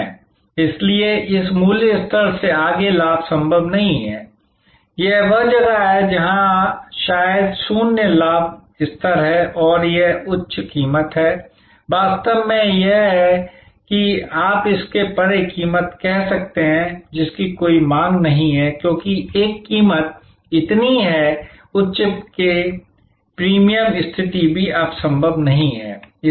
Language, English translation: Hindi, So, it is not possible to profit beyond this price level, this is where a maybe the zero profit level and this is the high price, actually this is you can say a price beyond, which there is no demand, because a price is so high that even the premium positioning is no longer possible